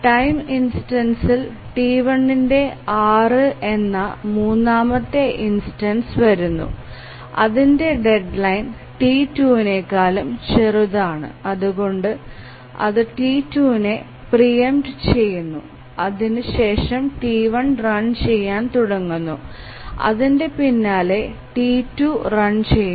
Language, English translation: Malayalam, At the time instance 6, the third instance of T1 arrives and because it has a shorter deadline then the T2 it again preempts T2, T1 starts running and then T2 starts running